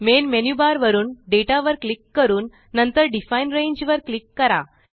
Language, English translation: Marathi, From the Menu bar, click Data and then click on Define Range